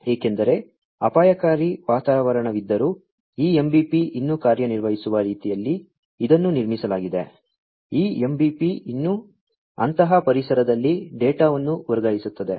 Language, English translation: Kannada, Because, it has been built in such a manner that, this MBP will still work even if there is a hazardous environment, this MBP will still transfer data in such kind of environment